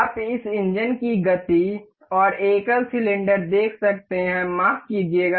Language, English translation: Hindi, You can see the motion of this engine, and and single single cylinder sorry